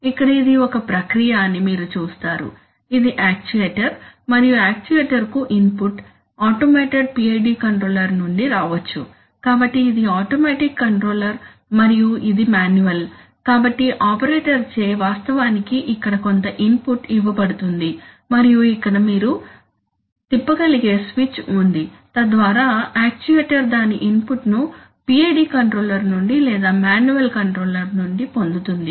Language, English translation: Telugu, So here is the case where, so you see that this is the process, this is the actuator and the input to the actuator can come either from the automated PID controller, so this is automatic control, automatic controller and this is manual, so the operator is actually giving some input here and here is a switch, here is the switch which you can flick, so that the actuator get its, gets its input either from the PID controller or from the manual controller